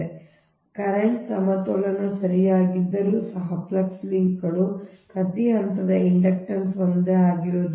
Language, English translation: Kannada, so even if that currents is balance, right, but flux linkages is an inductance of each phase, will not be the same